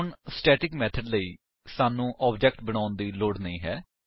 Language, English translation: Punjabi, Now, for static method, we do not need to create an object